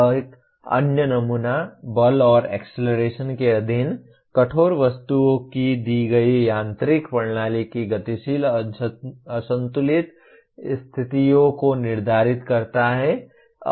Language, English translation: Hindi, Another sample, determine the dynamic unbalanced conditions of a given mechanical system of rigid objects subjected to force and acceleration